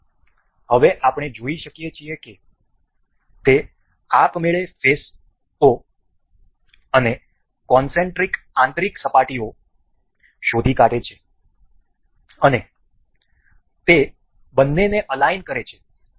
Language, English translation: Gujarati, So, now, we can see it has automatically detected the faces and the concentric inner surfaces and it has aligned the two